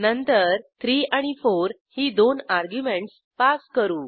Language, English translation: Marathi, Then we pass two arguments as 3 and 4